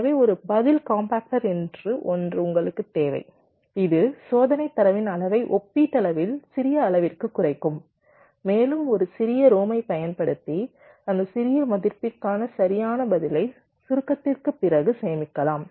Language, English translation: Tamil, that will you reduce the volume of the test data to a relatively small volume and you can use a small rom to store the correct response for that small value after compaction